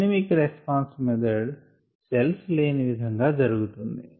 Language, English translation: Telugu, the dynamic response method is carried out in the absence of cells